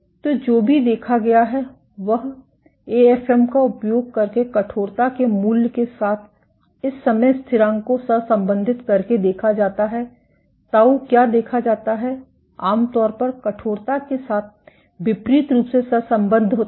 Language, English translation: Hindi, So, what has been also observed is by correlating these time constants with the value of stiffness using AFM, what is observed is tau is generally inversely correlated with that of stiffness